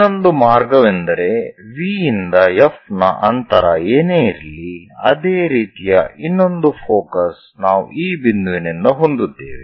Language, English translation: Kannada, The other way is from V whatever the distance of F we have same another focus we are going to have it at this point